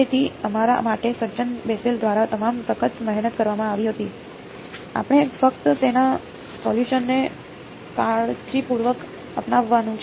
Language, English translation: Gujarati, So, all the hard work was done by the gentlemen Bessel for us, we just have to carefully adopt his solution ok